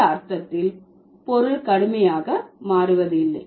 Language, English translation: Tamil, So, the meaning changes substantially